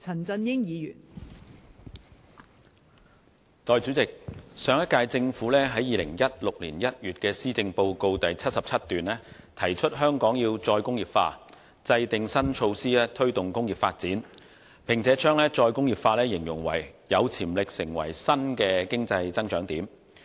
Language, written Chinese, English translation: Cantonese, 代理主席，上屆政府在2016年1月的施政報告第77段提出香港要"再工業化"，制訂新措施推動工業發展，並將"再工業化"形容為有潛力成為新的經濟增長點。, Deputy President in paragraph 77 of the Policy Address released in January 2016 the last - term Government proposed that Hong Kong should implement re - industrialization by formulating new measures to promote industrial development and described re - industrialization as a potential new area of economic growth